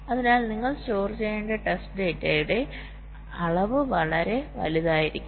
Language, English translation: Malayalam, so the volume of test data that you need to store can be pretty huge